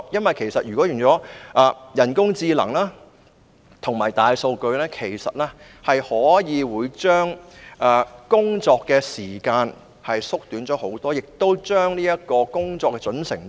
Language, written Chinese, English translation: Cantonese, 利用人工智能及大數據不但可以大大縮短工作時間，亦可以大大提高工作的準繩度。, The use of AI and big data will not only greatly reduce the working time but will also significantly enhance the accuracy of work